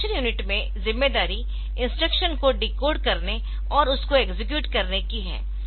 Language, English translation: Hindi, In the execution unit, so the responsibility is to decode the instruction and execute it